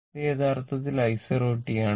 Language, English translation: Malayalam, This is actually i 0 t